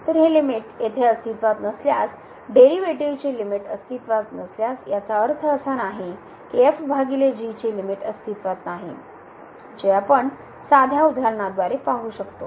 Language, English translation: Marathi, So, if this limit here does not exist, if the limit of the derivatives does not exist; it does not mean that the limit of divided by does not exist which we can see by the simple example